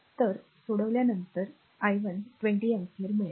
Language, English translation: Marathi, So, you will get after solving, you will get i 1 is equal to 20 ampere